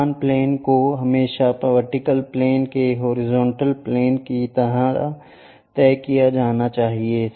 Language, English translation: Hindi, Principal planes are always be fixed like vertical planes horizontal planes